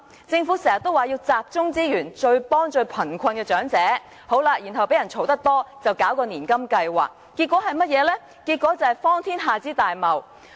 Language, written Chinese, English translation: Cantonese, 政府時常說要集中資源，幫助最貧困的長者，然後因經常被批評，便推出年金計劃，結果是荒天下之大謬。, The Government often says it needs to concentrate resources on helping the poorest elderly persons but after coming under frequent criticisms launched the annuity scheme which is absolutely preposterous